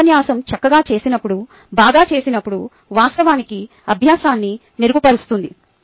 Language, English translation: Telugu, lecture, when done fine, when done well, can actually improve learning